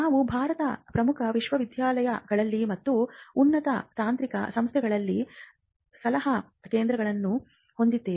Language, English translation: Kannada, And we had centres for consultancy in the major universities in and higher technical institutions in India